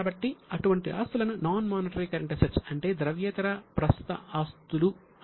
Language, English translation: Telugu, So, such assets are known as non monetary current assets